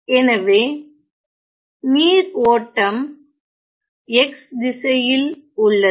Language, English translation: Tamil, So, which means and the flow of the water is along the x direction